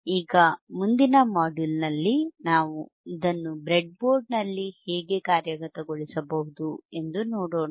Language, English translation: Kannada, Now, in the next module, let us see how we can implement this on the breadboard